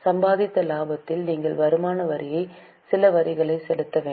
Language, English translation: Tamil, On the profit earned you have to pay some tax that is an income tax